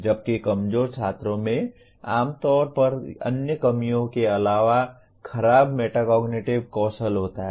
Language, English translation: Hindi, Whereas, weaker students typically have poor metacognitive skills besides other deficiencies